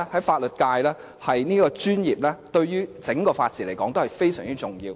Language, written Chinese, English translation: Cantonese, 法律界這個專業，對於整個法治來說是非常重要的。, The legal profession is essential to the whole situation of the rule of law